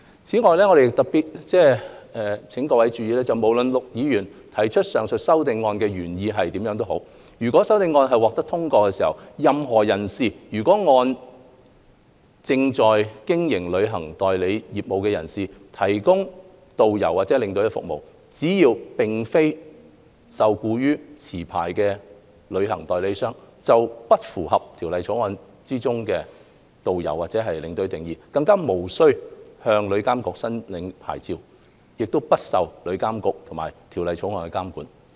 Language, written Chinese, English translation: Cantonese, 此外，我想特別請各位注意，無論陸議員提出上述修正案的原意為何，如果有關修正案獲得通過，任何人士，如按照正在經營旅行代理商業務的人士的指示提供導遊和領隊服務，只要並非受僱於持牌旅行代理商，便不符合《條例草案》中導遊和領隊的定義，便無須向旅監局申領牌照，不受旅監局及《條例草案》監管。, Moreover please especially note that regardless of the intention of Mr LUK the effect of passing his aforesaid amendments is that a person who is not employed by a licensed travel agent but is directed by one who is carrying on travel agent business to provide tourist guidetour escort services will not be caught by the definition of tourist guidestour escorts; as a result the person though providing tourist guidetour escort services will not be required to apply for a licence from TIA and will not be subject to the regulation of TIA or the Bill